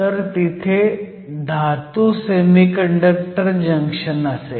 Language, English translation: Marathi, So, there we will have Metal Semiconductor Junctions